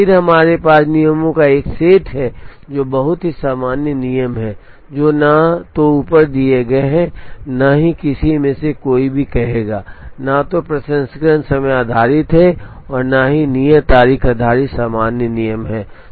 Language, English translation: Hindi, Then we have a set of rules, which are very common rules which are neither or none of the above one would say, neither processing time based nor due date based general rules